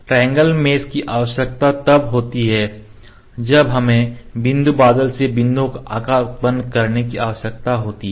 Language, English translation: Hindi, Triangle mesh is required when we need to produce the shape from the points from the point cloud